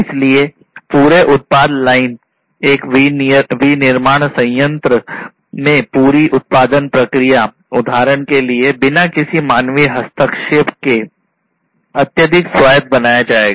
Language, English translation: Hindi, So, the entire product line, the entire production process in a manufacturing plant, for example, would be made highly autonomous without any human intervention, ok